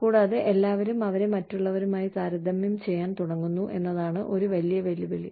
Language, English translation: Malayalam, And, one big challenge is that, everybody starts comparing, herself or himself, to others